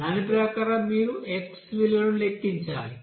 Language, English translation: Telugu, As per that you have to calculate first what is the x value